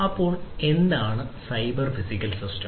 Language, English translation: Malayalam, So, what is cyber physical system